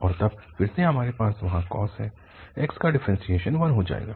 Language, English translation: Hindi, And then, again, we have the cos there x will become 1